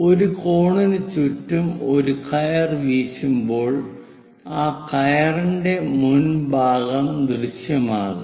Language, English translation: Malayalam, When a rope is winded around a cone, the front part front part of that rope will be visible